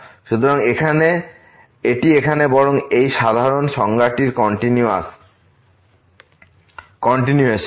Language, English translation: Bengali, So, this is just the continuation of this rather general definition here